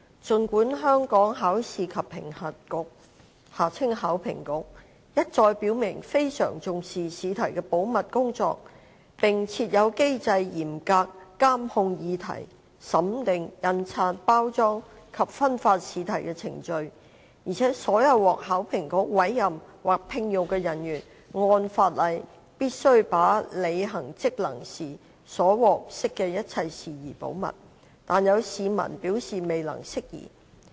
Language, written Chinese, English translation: Cantonese, 儘管香港考試及評核局一再表明非常重視試題的保密工作，並設有機制嚴格監控擬題、審定、印刷、包裝及分發試題的程序，而且所有獲考評局委任或聘用的人員按法例必須把在履行職能時所獲悉的一切事宜保密，但有市民表示未能釋疑。, Although the Hong Kong Examinations and Assessment Authority HKEAA has repeatedly stated that it attaches great importance to preserving the secrecy of examination papers and a mechanism is in place to tightly monitor and control the processes of design review printing packing and distribution of examination papers and that all personnel appointed or employed by HKEAA shall under the law preserve secrecy with regard to all matters coming to their knowledge in the performance of any function some members of the public have indicated that they remain doubtful